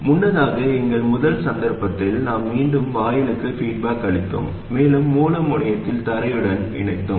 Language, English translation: Tamil, Earlier in our very first case we were feeding back to the gate and we connected the source terminal to ground